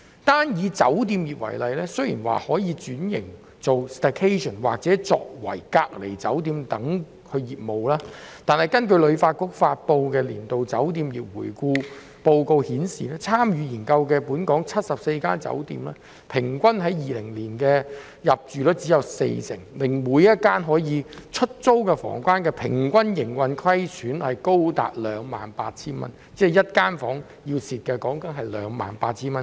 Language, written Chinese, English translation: Cantonese, 單以酒店業為例，雖說可轉型以經營 staycation 或作為隔離酒店的業務，但根據香港旅遊發展局發布的年度酒店業回顧報告顯示，參與研究的本港74間酒店，在2020年的平均入住率只有四成，每間可出租房間的平均營運虧損額高達 28,000 元，即每一間房間至少虧蝕 28,000 元。, Take the hotel industry as an example . While hotels may switch to other businesses by offering staycation packages or becoming quarantine hotels according to the Hong Kong Hotel Industry Review Yearly published by the Hong Kong Tourism Board for the 74 local hotels participating in the survey the average occupancy rate was only 40 % in 2020 and the average operating loss per rentable room was as high as 28,000 which means that they lost at least 28,000 for each room